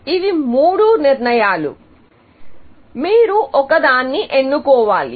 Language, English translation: Telugu, So, there are three decisions, you have to make